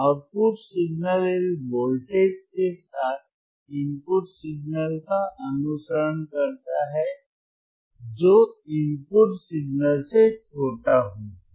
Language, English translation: Hindi, oOutput signal follows the input signal with a voltage which is smaller than the input signal